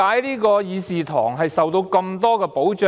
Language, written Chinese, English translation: Cantonese, 為何議事堂會受到這麼多保障？, Why does the Chamber enjoy so much protection?